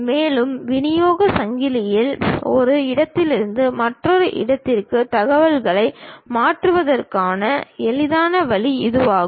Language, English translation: Tamil, And, this is the easiest way of transferring information from one location to other location in the supply chain